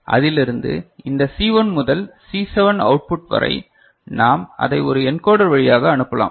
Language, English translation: Tamil, And from that this C1 to C7 output we can pass it through an encoder ok